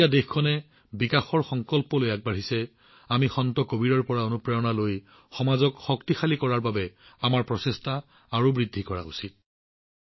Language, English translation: Assamese, Today, when the country is moving forward with the determination to develop, we should increase our efforts to empower the society, taking inspiration from Sant Kabir